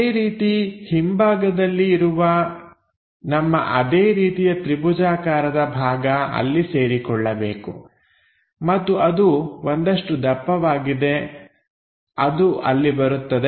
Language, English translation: Kannada, Similarly, on the back side we have that triangular portions supposed to meet there and that has a thickness which comes there